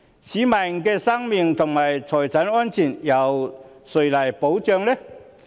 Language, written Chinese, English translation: Cantonese, 市民的生命和財產安全由誰來保障？, Who will safeguard the lives and properties of members of the public?